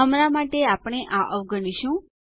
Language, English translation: Gujarati, We will skip this for now